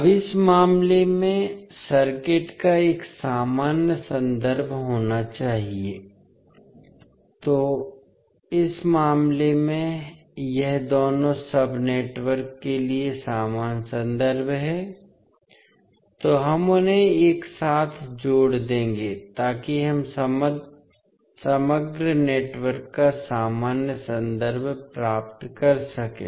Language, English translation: Hindi, Now, in this case the circuit must have one common reference, so in this case this is the common reference for both sub networks, so we will connect them together so that we get the common reference of overall network